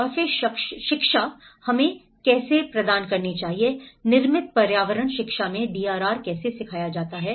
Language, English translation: Hindi, And then education, how we have to, how to teach the DRR in the built environment education